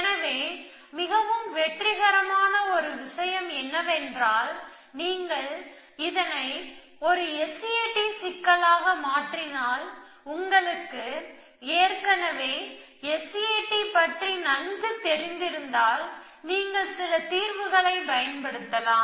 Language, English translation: Tamil, So, one thing that was very successful was that if you converted into a S A T problem and we already familiar with S A T and then you could use some solver